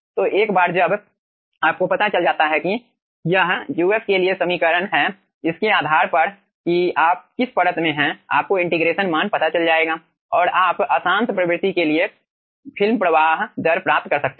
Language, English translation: Hindi, so once you know the expression for this uf plus, depending on which layer you are in, you will be finding out the integration value and you can get the film flow rate for the turbulent regime, okay